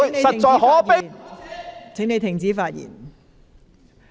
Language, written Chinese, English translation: Cantonese, 陸頌雄議員，請停止發言。, Mr LUK Chung - hung please stop speaking